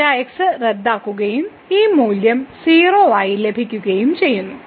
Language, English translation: Malayalam, So, delta gets cancel and we will get this value as 0